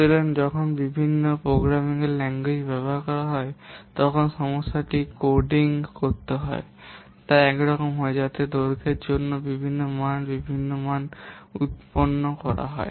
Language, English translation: Bengali, So when different programming languages are used, even if the problem is same to be, that has to be coded, so that will produce different measures, different values for the length